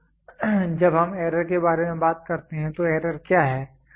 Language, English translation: Hindi, So, when we talk about error, what is an error